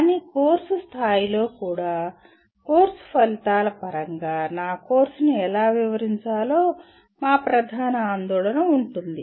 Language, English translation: Telugu, But even at course level, our main concern will be how do I describe my course in terms of course outcomes